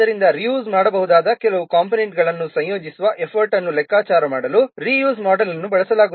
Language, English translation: Kannada, So a reuse model is used to compute the effort of integrating some reusable components